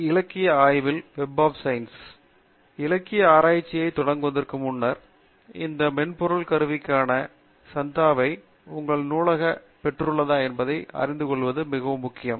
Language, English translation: Tamil, So, before we start the literature survey, it is very important for us to know from our librarian whether we have subscription for these tools